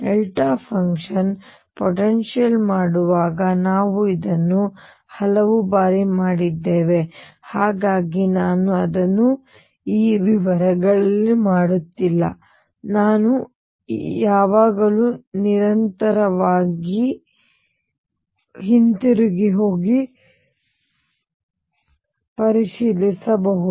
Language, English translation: Kannada, This we have done many times while doing the delta function potential, so I am not doing it in the details here I can always go back and check